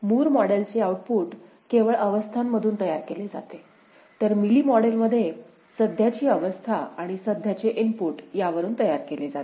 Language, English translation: Marathi, Moore model output is generated only from the state right; Mealy model from current state as well as current input